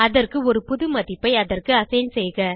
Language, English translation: Tamil, To do so, just assign a new value to it